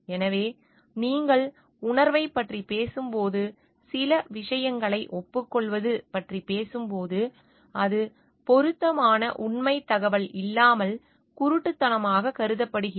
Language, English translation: Tamil, So, when you talking of consciousness, when you are talking of agreeing to certain things, it is considered to be blind without relevant factual information